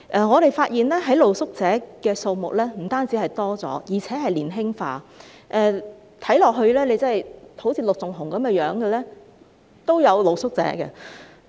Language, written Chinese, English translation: Cantonese, 我們發現露宿者的數目不僅增加，而且年輕化，有些露宿者的衣着外表更好像陸頌雄議員般。, We find that not only has the number of street sleepers increased but their average age is also getting younger . Some street sleepers look like Mr LUK Chung - hung in appearance and dresses